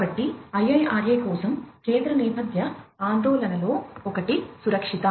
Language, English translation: Telugu, So, for the IIRA one of the central thematic concerns is the safety